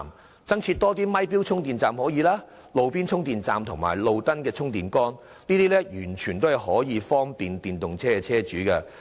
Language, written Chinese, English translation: Cantonese, 當局亦可考慮增設"咪錶充電站"、"路邊充電站"及"路燈充電杆"，這些措施均可方便電動車車主。, Consideration can also be given by the Government to providing metered parking spaces installed with charging facilities roadside charging stations and street light charging points and all these measures can bring convenience to owners of EVs